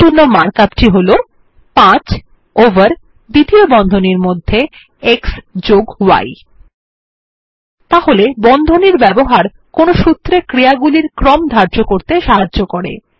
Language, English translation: Bengali, And the mark up looks like: 5 over x+y in curly brackets So using brackets can help set the order of operation in a formula